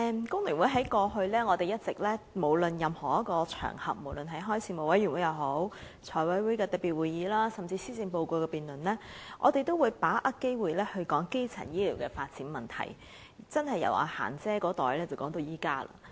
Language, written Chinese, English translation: Cantonese, 代理主席，香港工會聯合會過去在任何場合，無論是事務委員會、財務委員會特別會議，甚至是施政報告辯論等，均一直有把握機會提出發展基層醫療服務的問題，可說是由"嫻姐"那一代開始談到現在。, Deputy President The Hong Kong Federation of Trade Unions has seized every opportunity in the past to raise the issue of developing primary health care services on whatever occasions be they Panel meetings special Finance Committee FC meetings and even the annual policy debates . The matter has in fact received a due share of our attention ever since Madam Hans generation